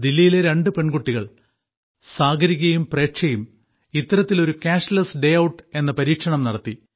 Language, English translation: Malayalam, Two daughters of Delhi, Sagarika and Preksha, experimented with Cashless Day Outlike this